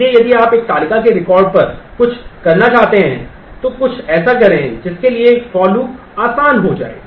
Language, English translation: Hindi, So, if you want to do something over the records of a table compute something that the for loop will become easier